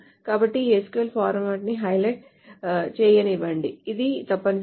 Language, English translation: Telugu, So let me just highlight the format of this SQL